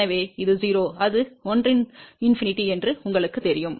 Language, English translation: Tamil, So, this is 0, you know this is 1, infinity